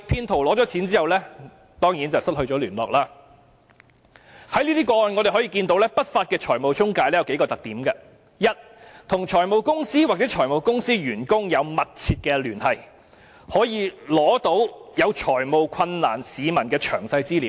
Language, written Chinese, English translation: Cantonese, 從這些個案中，我們可見不法的財務中介有數個特點：第一，與財務公司或財務公司員工有密切聯繫，可以取得有財務困難的市民的詳細資料。, From these cases we can identify a few features of unscrupulous financial intermediaries First they have close ties with finance companies or staff members of finance companies with access to the personal details of members of the public in financial distress